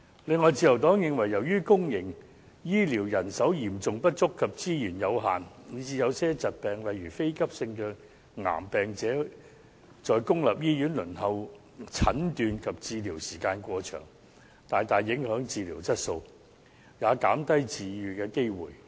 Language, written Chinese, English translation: Cantonese, 此外，自由黨認為由於公營醫療人手嚴重不足及資源有限，以致有些疾病，例如非急性的癌症患者在公立醫院輪候診斷及治療時間過長，大大影響治療質素，也減低治癒機會。, Besides the Liberal Party holds that the serious manpower shortage and limited resources of public health care have led to excessively long waiting time for certain patients such as non - acute cancer patients to be given diagnosis and treatment in public hospitals thus greatly affecting the quality of treatment and reducing the chance of recovery